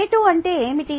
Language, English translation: Telugu, ok, what is rate